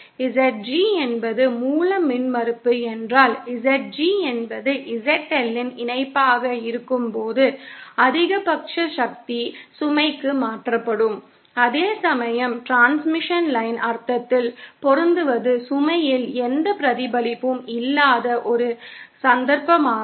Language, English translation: Tamil, If ZG is the source impedance, then maximum power will be transferred to the load when ZG is the conjugate of ZL, whereas matching in the transmission line sense is a case where there is no reflection on the load